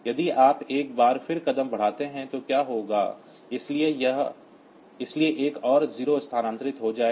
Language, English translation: Hindi, If you do the step once more then what will happen, so another 0 gets shifted